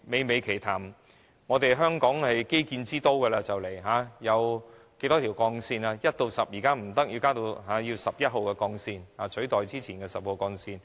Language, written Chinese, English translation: Cantonese, 香港快將成為基建之都，現在不僅有一至十號的幹線，未來更要增建至十一號幹線以取代之前的十號幹線。, Hong Kong will soon become a city of infrastructure . At present not only do we have Routes 1 to 10 but we are also going to build Route 11 to replace the previous Route 10